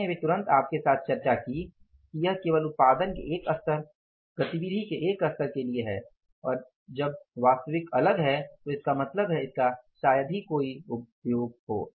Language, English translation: Hindi, I just discussed with you that this is only for the one level of the production, one level of the activity and when actual is different that it has, means hardly any use